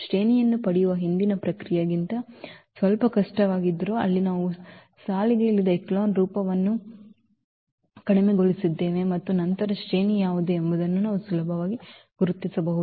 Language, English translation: Kannada, Though it is little bit difficult than the earlier process of getting the rank where we reduced to the row reduced echelon form and then we can easily identify what is the rank